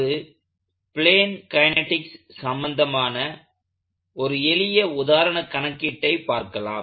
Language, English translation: Tamil, Let us look at an example problem, simple example problem related to plane kinetics